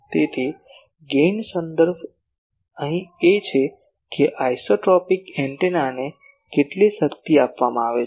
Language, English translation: Gujarati, So, gain is reference here that how much power is given to an isotropic antenna